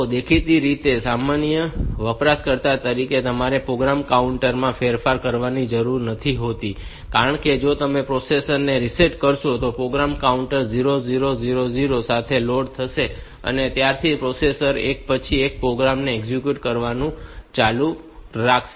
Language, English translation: Gujarati, So, apparently as a general user you do not need to modify the program counter, because if you reset the processor the program counter will be loaded with program counter will also be reset to 00000 and from that point onwards, the processor will go on executing the programs one after the other